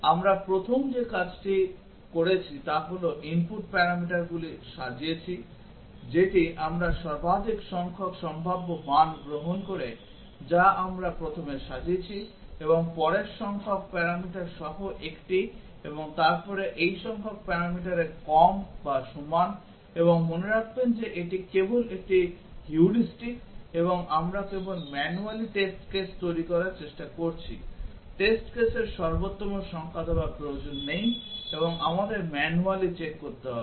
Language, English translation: Bengali, The first thing we did was we arranged the input parameters, the one that take maximum number of possible values that we arranged first, and one with next number of parameters and then the one with less or equal to this number of parameters, and remember that this is just a heuristic and we are just trying to generate manually test cases need not give the optimum number of test cases and also we have to manually check